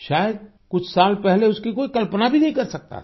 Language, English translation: Hindi, Perhaps, just a few years ago no one could have imagined this happening